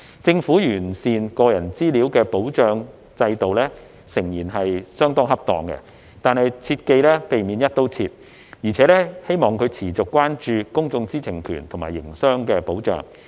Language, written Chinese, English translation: Cantonese, 政府完善個人資料的保障制度誠然是相當恰當的，但切記要避免"一刀切"，並希望政府持續關注公眾知情權和營商保障。, Undoubtedly it is a right move for the Government to enhance the personal data protection regime . However it must not adopt a one - size - fits - all approach . I hope it will continue to be concerned about maintaining the publics access to information and safeguarding business operations